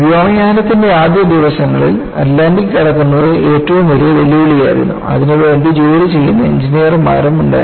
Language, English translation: Malayalam, So, in the early days of aviation, crossing the Atlantic was one of the biggest challenges,and there were also engineers who were working